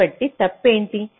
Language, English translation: Telugu, so the wrong